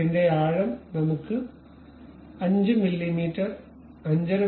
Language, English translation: Malayalam, The depth of the cut we can have something like 5 mm, 5